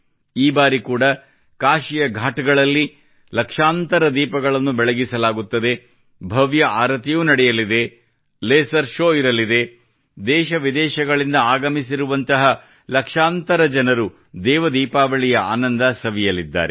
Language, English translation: Kannada, This time too, lakhs of lamps will be lit on the Ghats of Kashi; there will be a grand Aarti; there will be a laser show… lakhs of people from India and abroad will enjoy 'DevDeepawali'